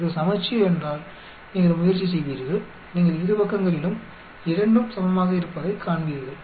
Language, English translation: Tamil, If it symmetric you will try you will see both equal on both sides